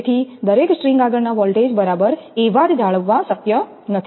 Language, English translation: Gujarati, So, voltage across each string, it is not possible to maintain exactly the same voltage